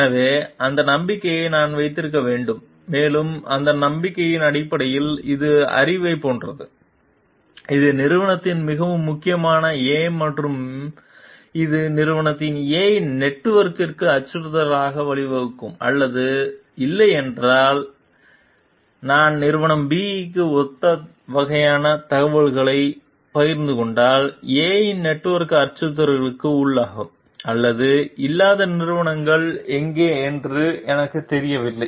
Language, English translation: Tamil, So, I need to keep that trust also and on the basis of that trust, if it is something which is like a knowledge, which is very core to company A and which may lead to threat to the company A s network or not, because if I share similar kind of information to company B, I do not know like where the companies A s network will be under threat or not